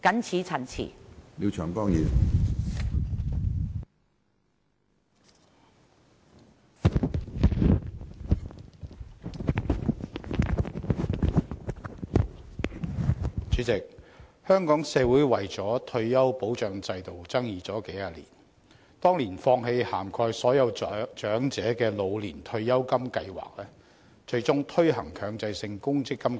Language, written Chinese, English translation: Cantonese, 主席，香港社會為了退休保障制度爭議了數十年，當年放棄涵蓋所有長者的老年退休金計劃，最終推行了強制性公積金計劃。, President the dispute over the retirement protection system has lasted for a few decades in the community in Hong Kong . Back then the authorities gave up the Old Age Pension Scheme and the Mandatory Provident Fund MPF System was eventually implemented